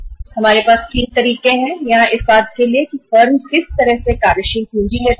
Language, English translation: Hindi, When you talk about these modes, we have 3 modes here for means how the firms take the working capital from the banks